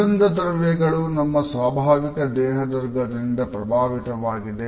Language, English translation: Kannada, Our scent is influenced by our natural body odor